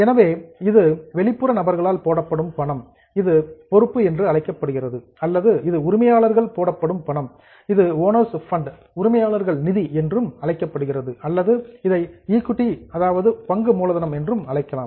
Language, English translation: Tamil, So, either it is money put in by outsiders which is known as liability or it is money put in by the owners themselves which is known as owners fund or it is also called as equity